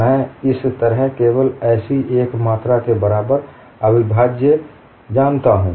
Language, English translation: Hindi, I know only the integral equal to a quantity like this